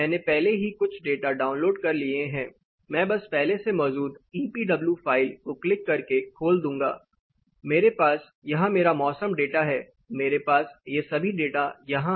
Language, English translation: Hindi, So, I have already downloaded some data, I am going to just click open existing EPW file I have my weather data here, I have all these data sitting here